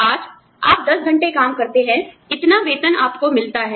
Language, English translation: Hindi, Today, you put in ten hours of work, you get, this much salary